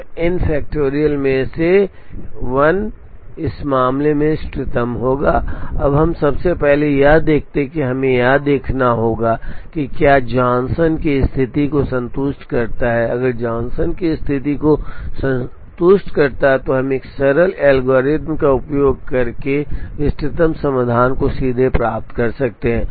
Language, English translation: Hindi, So, 1 out of the n factorial will be optimal in this case, now we observe first of all we have to check whether it satisfies the Johnson condition, if it satisfies the Johnson condition then we could get the optimal solution straightaway using a simple algorithm